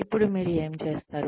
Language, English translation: Telugu, Now, what do you do